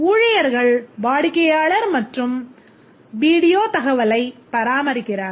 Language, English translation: Tamil, The staff maintain the customer and video information